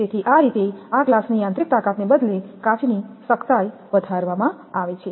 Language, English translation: Gujarati, So, this way mechanical strength of this glass is increased toughened glass rather